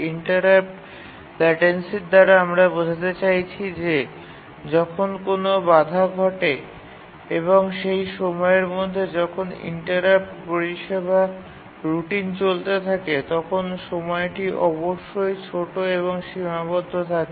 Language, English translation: Bengali, What we mean by the interrupt latency is that when an interrupt occurs and by the time the interrupt service routine runs for that interrupt, the time must be small and bounded